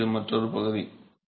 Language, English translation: Tamil, So, this is another area by itself